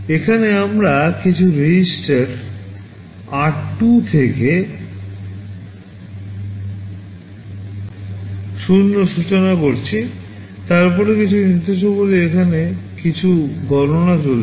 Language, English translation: Bengali, Here we are initializing some register r2 to 0, then some instructions here some calculations are going on